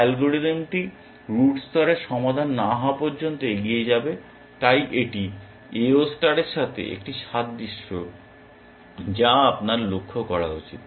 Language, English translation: Bengali, The algorithm will proceed till the root gets level solved so, that is a similarity with AO star you should observe